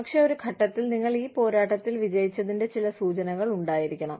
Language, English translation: Malayalam, But, there should be some indication of, you winning the battle, at some point